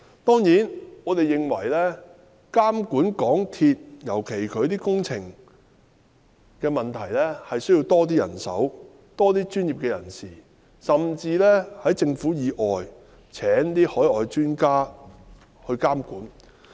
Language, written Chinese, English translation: Cantonese, 當然，我們認為在監管港鐵公司，尤其是其負責的鐵路工程方面，需要多些人手及專業人士，甚至要在政府以外聘請海外專家來監管。, Of course we opine that in monitoring MTRCL especially the railway works undertaken by it we need more manpower and professionals and may even need to recruit overseas experts outside the Government